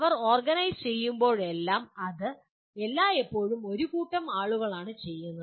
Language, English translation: Malayalam, Whenever they are organized it is always by a team of people